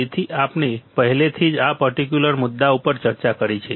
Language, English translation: Gujarati, So, we have already discussed this particular point